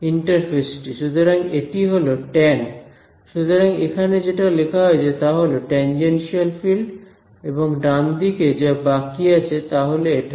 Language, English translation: Bengali, The interface; so, it is the tan so this what is written over here this is exactly the tangential fields and what is left on the right hand side is simply this thing